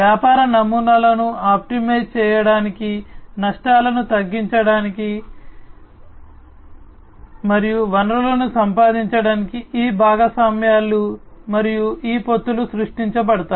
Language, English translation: Telugu, And these partnerships and these alliances will be created to optimize the business models, to reduce the risks, and to acquire the resources